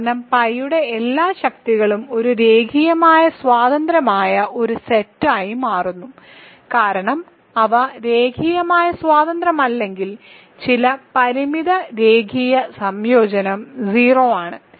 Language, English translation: Malayalam, Because this all the powers of pi form a linearly independent set because, if they are not linearly independent then some finite linear combination is 0